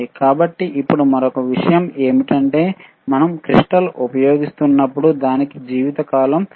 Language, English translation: Telugu, So, now another point is that, when we are using crystal it has a, it has a lifetime